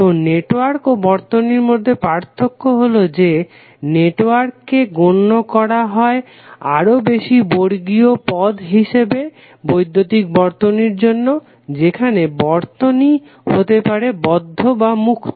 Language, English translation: Bengali, So the difference between network and circuit is that network is generally regarded as a more generic term for the electrical circuit, where the circuit can be open or closed